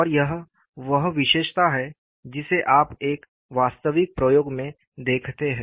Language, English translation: Hindi, And this is the feature that you observe in an actual experiment